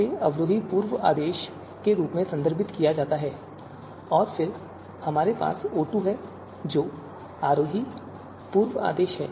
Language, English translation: Hindi, So it is referred as descending pre order and then we have O2, that is ascending pre order